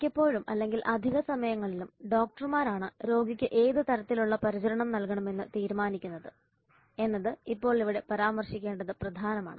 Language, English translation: Malayalam, Now here it is important to mention that many times or most often it is the doctors who decide the kind of occupancy the patient has to be kept